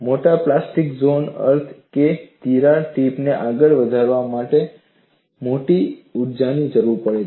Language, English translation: Gujarati, A large plastic zone means that a large amount of energy is required to advance a crack tip